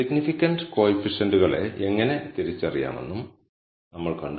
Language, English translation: Malayalam, We also saw how to identify the significant coefficients